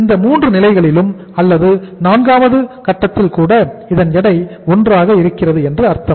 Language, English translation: Tamil, Means at these 3 stages or even the fourth stage that the weight is 1